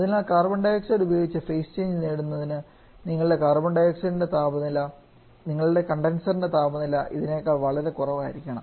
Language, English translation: Malayalam, So, in order to achieve our phase change with carbon dioxide your condenser temperature also has to be much lower than this